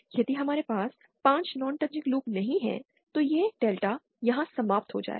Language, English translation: Hindi, If we do not have 5 non touching loops, then this delta will end here